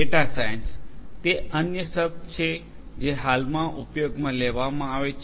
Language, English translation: Gujarati, Data science; that is another term that is being used popularly at present